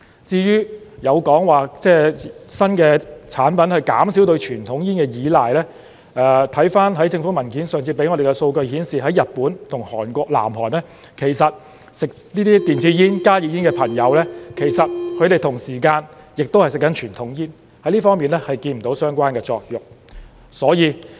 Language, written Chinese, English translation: Cantonese, 至於有說法指新的產品可以減少對傳統煙的依賴。回看政府文件上次給我們的數據顯示，在日本及韓國，吸食電子煙、加熱煙的朋友同時間亦吸食傳統煙，在這方面看不到相關的作用。, As for the suggestion that people can rely less on conventional cigarettes if they use new products according to the data in the paper provided to us by the Government last time e - cigarette and HTP users in Japan and Korea South Korea are using cigarettes at the same time so there is no such effect in this regard